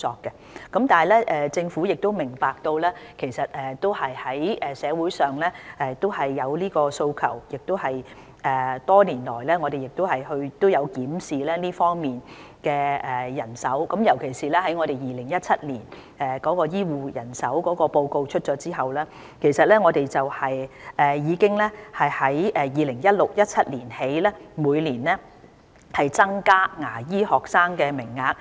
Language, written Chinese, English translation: Cantonese, 然而，政府明白到社會上有訴求，我們多年來亦有檢視這方面的人手，尤其是在2017年公布有關醫護人手的報告後，我們從 2016-2017 年度開始，每年已經增加牙醫學生的名額。, However the Government appreciates the aspiration of the community and we have reviewed the manpower in this respect over the years . Particularly after the publication of the report on health care manpower in 2017 we have increased the number of dental students annually since 2016 - 2017